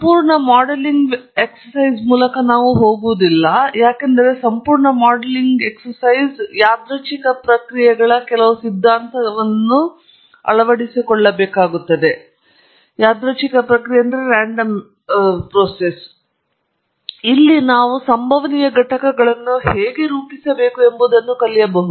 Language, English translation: Kannada, We shall not go through the complete modelling exercise, because a complete modelling exercise may also call for some theory of random processes, where we learn how to model the stochastic components